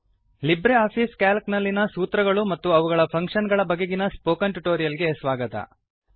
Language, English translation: Kannada, Welcome to the Spoken Tutorial on Formulas and Functions in LibreOffice Calc